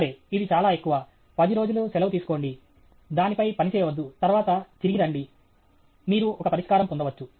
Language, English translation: Telugu, Ok, it is too much; take some ten days off; don’t work on it; then come back; you may get a solution